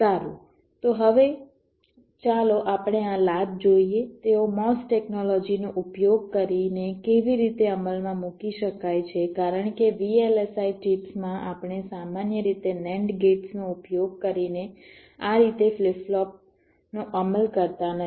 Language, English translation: Gujarati, so now let us see, ah these latches, how they can be implemented using mos technology, because in v l s i chips we normally do not implement flip flops like this using nand gates